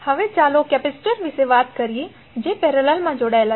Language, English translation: Gujarati, Now, let us talk about the capacitors which are connected in parallel